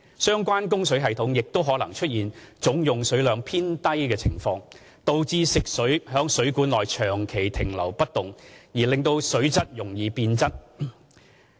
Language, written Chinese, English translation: Cantonese, 相關供水系統也可能出現總用水量偏低的情況，導致食水在水管內長期停留不動而令水質容易變質。, Moreover low total water consumption may lead to stagnant water in water mains hence resulting in the deterioration of water quality